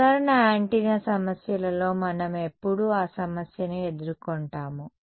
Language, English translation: Telugu, In usual antenna problems all we never run into that issue